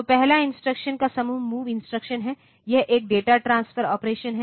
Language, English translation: Hindi, So, first group of instruction is the MOV instruction is a data transfer operation